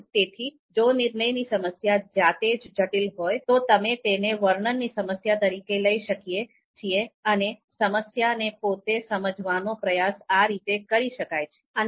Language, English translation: Gujarati, So if the decision problem itself is very complex, we can take it as a description problem and first try to understand the problem itself